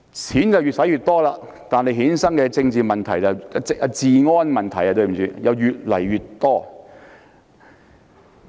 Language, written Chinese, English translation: Cantonese, 錢越用越多，但衍生的治安問題卻越來越多。, The more money we spend on this mechanism the more law and order problems we have